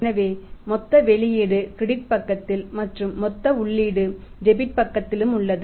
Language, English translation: Tamil, So, total output is on the credit side right and total input is on the debit side